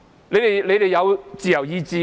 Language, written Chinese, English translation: Cantonese, 你們有自由意志嗎？, Do you have any free will? . You do not